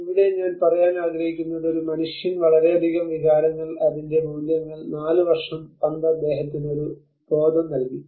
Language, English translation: Malayalam, So here what I want to say here is, a man is attached with a lot of emotions, its values, 4 years that ball has given him a sense of being